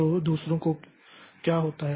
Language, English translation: Hindi, So, what happens to the others